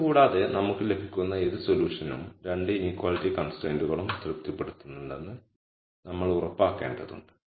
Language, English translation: Malayalam, Also keep in mind that other than this we also have to make sure that whatever solution we get still has to satisfy the 2 inequality constraints also